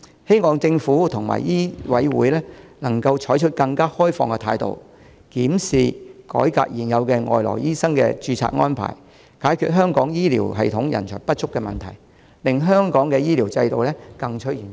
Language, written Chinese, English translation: Cantonese, 希望政府及香港醫務委員會能採取更開放的態度，檢視及改革現有的外來醫生的註冊安排，解決香港醫療系統人手不足的問題，令香港的醫療制度更趨完善。, It is hoped that the Government and the Medical Council of Hong Kong can adopt a more open attitude in reviewing and reforming the existing registration arrangement for overseas doctors with a view to resolving the manpower shortage problem in the healthcare system of Hong Kong so that the healthcare regime in Hong Kong can be more desirable